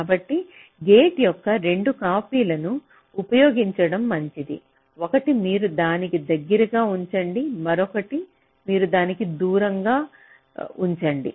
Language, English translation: Telugu, so better to use two copies of the gates, one you place closer to that, other you place closer to that ok, and you just clone like that